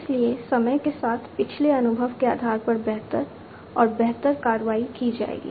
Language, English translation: Hindi, So, with time better and better actions based on the past experience will be taken